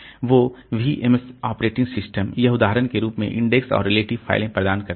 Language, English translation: Hindi, So, VMS operating system it provides index and relative files as another example